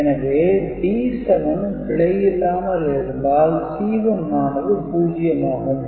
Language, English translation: Tamil, So, D 7, if not erroneous this C 1 generated will be 0